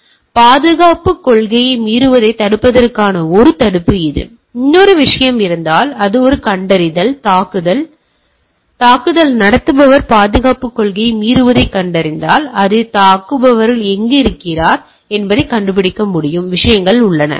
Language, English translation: Tamil, So, it is a prevention to prevent the violating security policy, if there is a another thing is that, it is a detection, if there is a attack the detect attacker violation of the security policy, I should be able to find out that where that attacker things are there